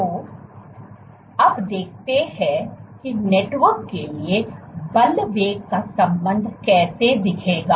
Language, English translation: Hindi, So, now let us see how will the force velocity relationship look for a network